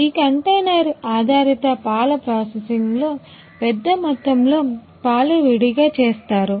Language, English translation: Telugu, In the processing of this container based milk and also the bulk milk it is done separately ah